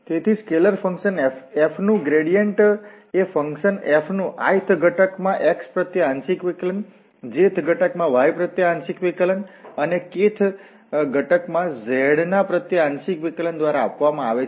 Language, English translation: Gujarati, So, gradient of f, gradient of a scalar function is given by partial derivative of x in the ith component, then partial derivative of y and then partial derivative of f in the direction of z axis